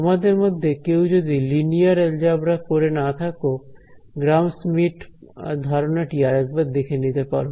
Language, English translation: Bengali, So, those who have few who have not done linear algebra you can revise this concept of Gram Schmidt